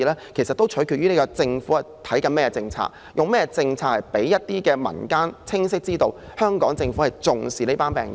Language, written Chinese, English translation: Cantonese, 這其實也取決於政府採用甚麼政策，讓民間清晰知道香港政府是重視這群病友的。, This actually hinges on the policy adopted by the Government to enable the public to know that it cares this groups of patients